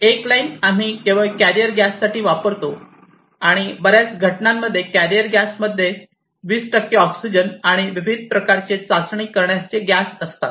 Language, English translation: Marathi, And one exclusively we use for the carrier gas and in most of the instances the carrier gas is here, which is having 20 percent of oxygen and a variety of test gas